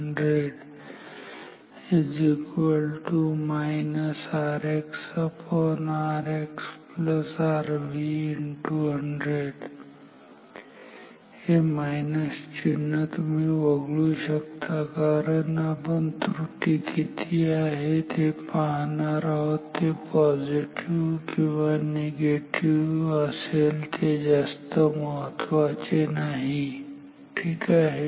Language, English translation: Marathi, This minus sign you can ignored because we are interested about the at the magnitude of the error whether it is a positive or negative error that is right now not so important ok